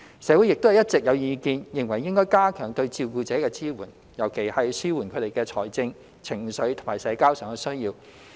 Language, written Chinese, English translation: Cantonese, 社會亦一直有意見認為應加強對照顧者的支援，尤其要紓緩他們在財政、情緒和社交上的需要。, There are also public views that support for carers should be strengthened particularly to relieve their financial emotional and social needs